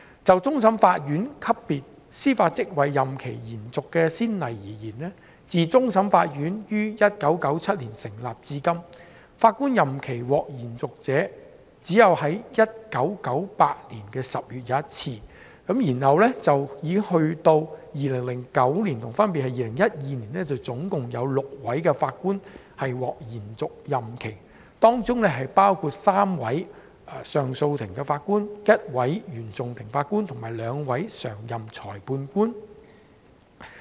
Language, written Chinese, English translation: Cantonese, 就終審法院級別司法職位任期延續的先例而言，自終審法院於1997年成立至今，法官任期獲延續者只有在1998年10月一次，並且在2009年及2012年，總共有6位法官獲延續任期，當中包括3位上訴法庭法官、一位原訟法庭法官及兩位常任裁判官。, Regarding precedent cases for extension of the term of judicial office at level of the Court of Final Appeal CFA since the establishment of CFA in 1997 there has only been one case of extension of the term of office of a CFA Judge in October in 1998 . Later in 2009 and 2012 a total of six Judges were granted extension including three Judges of the Court of Appeal one CFI Judge and two Permanent Magistrates